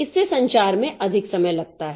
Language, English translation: Hindi, So, that takes more time for communication